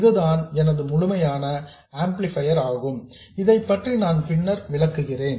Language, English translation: Tamil, Now, this is my complete amplifier and I will explain this later